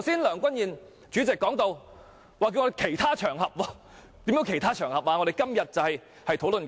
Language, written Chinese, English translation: Cantonese, 梁君彥主席剛才請我們另覓其他場合討論，其他場合是甚麼呢？, Earlier on President Andrew LEUNG has asked us to discuss them on another occasion . What is another occasion?